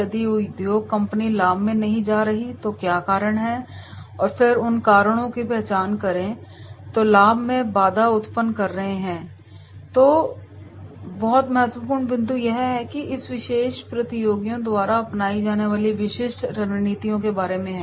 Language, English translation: Hindi, If the industry company is not going into the profit, what are the reasons and then identify those reasons which are hampering the profit then very very important point is that is about the specific strategies to be adopted by this particular competitors